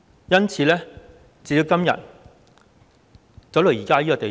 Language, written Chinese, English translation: Cantonese, 因此，時至今天，發展到這個地步。, Hence fast forward to today and things have come to this pass